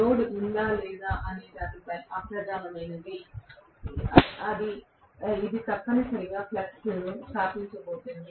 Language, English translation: Telugu, Whether there is load or not, that is immaterial, it is going to essentially establish a flux